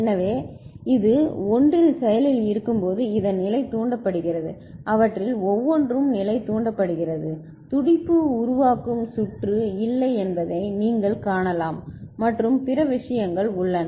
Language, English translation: Tamil, So, when this is active at 1, this is level triggered, each 1 of them is level triggered you can see that there is no pulse forming circuit and other things are there